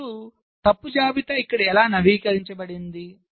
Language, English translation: Telugu, now how are the fault list updated here